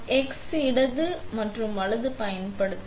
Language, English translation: Tamil, We use the x left and right